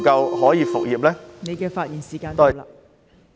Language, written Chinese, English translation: Cantonese, 郭偉强議員，你的發言時限到了。, Mr KWOK Wai - keung your speaking time is up